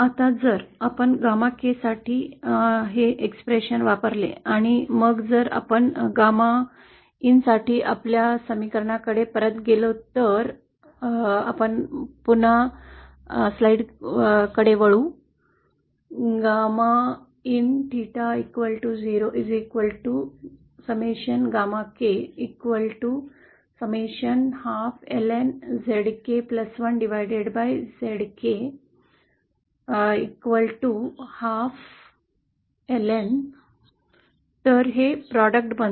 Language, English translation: Marathi, Now if we use this expression for gamma Sk & then if we go back to our expression for gamma in, if we can go back to the slides, so this becomes the product